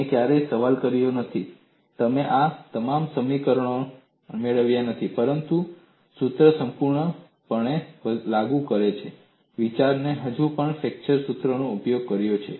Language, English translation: Gujarati, You never questioned, you have not derived your equations for this, but you have still utilized flexure formula thinking the formula is fully applicable